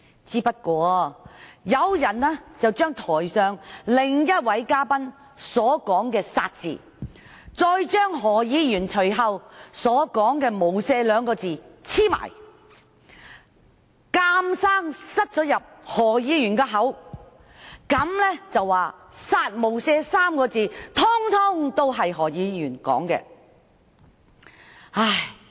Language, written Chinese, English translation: Cantonese, 只是有人把台上另一位嘉賓所說的"殺"字，與何議員隨後所說的"無赦"兩個字連在一起，硬要放進何議員的口中，說"殺無赦 "3 個字全是何議員說的。, It was only someone who put together the word kill uttered by a guest and the two words without mercy said by Dr HO subsequently and insisted to put all the words into Dr HOs mouth saying that the three words kill without mercy were all said by Dr HO